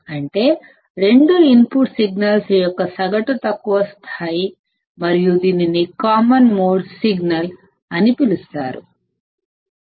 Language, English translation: Telugu, Which is, the average low level of the two input signals and is called as the common mode signal, denoted by Vc